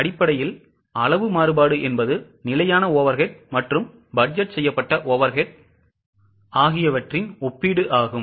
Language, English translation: Tamil, Basically, volume variance is a comparison of standard overhead with budgeted overhead